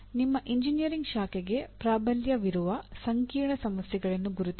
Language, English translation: Kannada, Identify complex problems that dominantly belong to your engineering branch